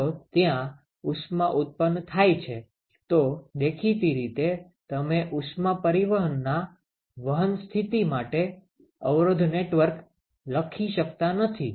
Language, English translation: Gujarati, If there is heat generation, obviously, you cannot write resistance networks for conduction mode of heat transport